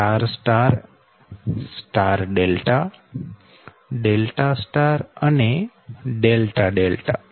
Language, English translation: Gujarati, and star, delta and delta star